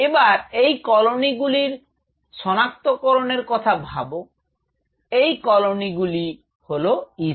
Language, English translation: Bengali, Now, think of it these colonies identification of this colonies are they are ECM